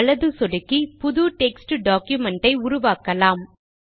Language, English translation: Tamil, Either right click and create a new text document